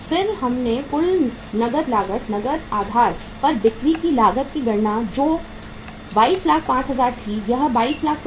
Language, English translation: Hindi, Then we calculated the total cash cost, cost of sales on the cash basis which was 2,205,000 or 22,05,000